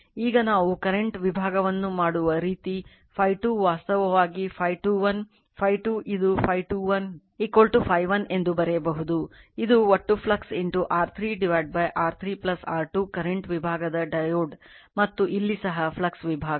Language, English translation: Kannada, Now, the way we do the current division same way the phi 2 actually phi 2 1 right, phi 2 is equal to this one it is phi 2 1 is equal to you can write the phi 1, this is the total flux into R 3 divided by R 3 plus R 2 the current division diode and here also flux division